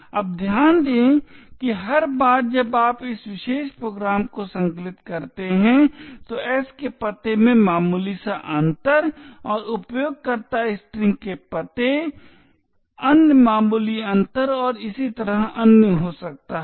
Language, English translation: Hindi, Now note that every time you compile this particular program there may be slight differences in the address of s and other minor differences in the address of user string and so on